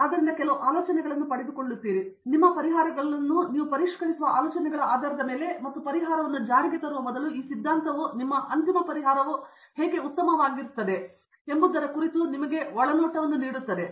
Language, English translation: Kannada, So, you get some ideas and based on that ideas you refine your solutions and before actual you start implementing a solution the theory basically gives you lot of insight into how well your final solution could be